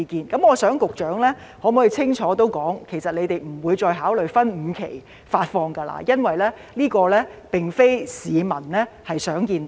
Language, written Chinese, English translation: Cantonese, 就此，我想局長可否清楚說明，局方其實不會再考慮分5期發放，因為這並非市民想看到的。, In this regard will the Secretary make it clear that the Government will no longer consider disbursing the vouchers in five instalments as this is not what the public hopes to see?